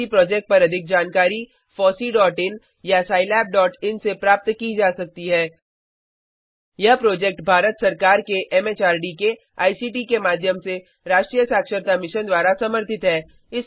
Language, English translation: Hindi, More information on the FOSSEE project could be obtained from http://fossee.in or http://scilab.in Supported by the National Mission on Eduction through ICT, MHRD, Government of India